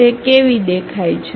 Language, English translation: Gujarati, How it looks like